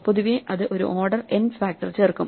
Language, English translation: Malayalam, In general, that will add an order n factor